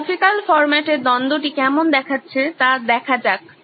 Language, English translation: Bengali, Let’s look at how the conflict looks like in graphical format